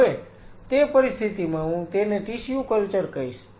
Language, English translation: Gujarati, In that situation, I will call it a tissue culture